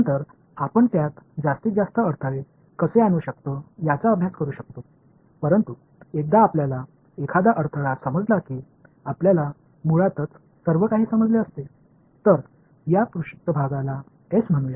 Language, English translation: Marathi, Later on we can study how to make more bring more and more obstacles in to it, but once we understand one obstacle we basically would have understood everything else let us call this surface S over here ok